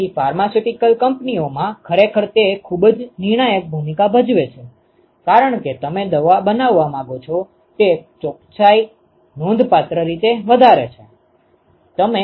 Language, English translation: Gujarati, So, really in pharmaceutical companies it actually plays a very critical role, because the precision with which you want to make the drug is significantly higher